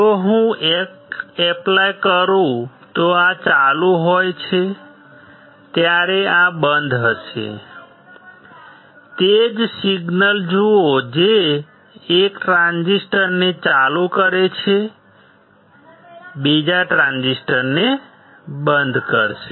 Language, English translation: Gujarati, If I apply 1 this is off while this is on, see the same signal which turns on 1 transistor, will turn off the another transistor